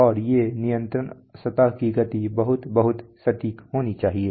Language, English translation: Hindi, And these control surface motion must be very, very precise